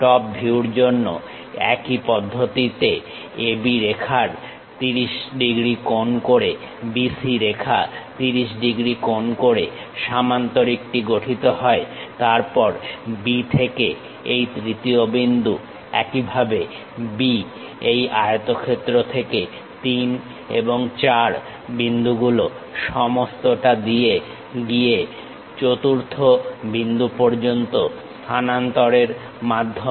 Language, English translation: Bengali, For top view the same procedure AB line makes 30 degrees, BC line makes 30 degrees, construct the parallelogram; then from B all the way to this third point, similarly B, all the way to fourth point by transferring 3 and 4 points from this rectangle